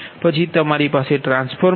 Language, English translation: Gujarati, so suppose you have a transformer